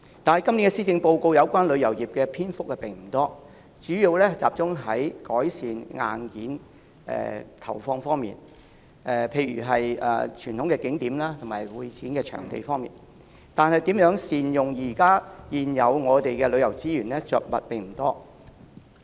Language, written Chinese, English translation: Cantonese, 可是，今年的施政報告有關旅遊業的篇幅並不多，主要集中於投放資源，以改善硬件，例如在傳統景點及會展場地方面，但對於如何善用我們現有的旅遊資源卻着墨不多。, With concerted efforts inbound tourism has begun to recover this year . However the few passages devoted to tourism in this years Policy Address mainly focused on investing resources in hardware improvement such as traditional tourist spots and convention and exhibition venues . There is not much mention of how to make good use of our existing tourism resources